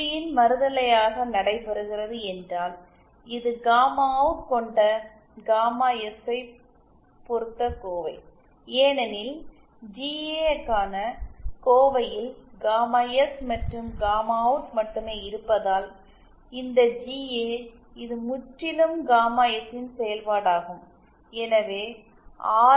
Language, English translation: Tamil, Similarly is the case for GA where just the converse of this GP takes place that is this is an expression in terms of gamma OUT gamma OUT depends on gamma S, since only gamma S and gamma OUT is present in the expression for GA this is GA is purely a function of gamma S and therefore we have no restrictions on RL